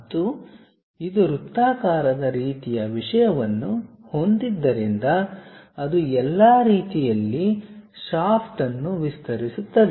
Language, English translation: Kannada, And because it is having a circular kind of thing extending all the way shaft